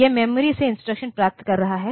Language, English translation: Hindi, It is getting the instruction from the memory